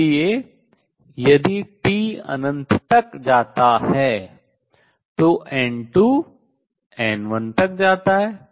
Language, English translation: Hindi, So, if T goes to infinity N 2 goes to N 1 they become equal